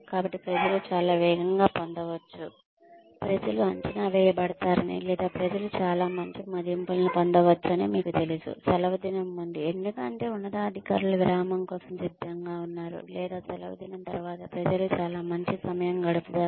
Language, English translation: Telugu, So, people may get very fast, you know people may be appraised or people may get very good appraisals, just before the holiday season because the superiors are getting ready to go for a break, or just after the holiday season because people have had a very nice time